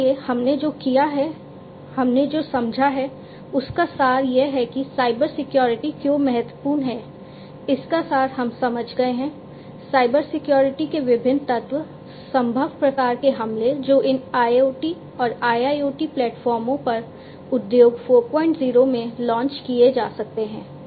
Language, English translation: Hindi, So, what we have done is we have understood the essence that why Cybersecurity is important, the essence of it we have understood, the different elements of Cybersecurity, the possible types of attacks that might be launched on these IoT and IIoT platforms in Industry 4